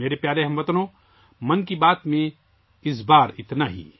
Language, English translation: Urdu, My dear countrymen, that's allthis time in 'Mann Ki Baat'